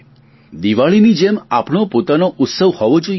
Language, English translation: Gujarati, Just like Diwali, it should be our own festival